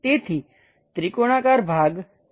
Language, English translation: Gujarati, So, the triangular portion will be that